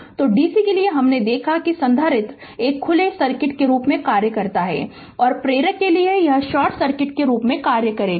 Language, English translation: Hindi, So, for and for DC ah we have seen that capacitor ah acts as a open circuit and ah for the inductor it will act as a short circuit right